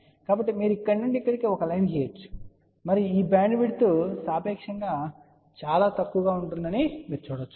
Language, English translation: Telugu, So, you can draw a line from here to here and you can see that this bandwidth will be relatively small